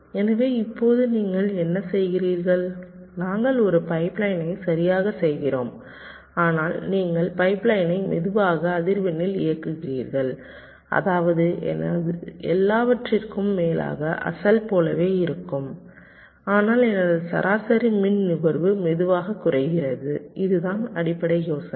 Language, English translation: Tamil, we make a pipe line, all right, but you run the pipe line at a much slower frequency, such that my over all throughput remains the same as the original, but my average power consumption drastically reduces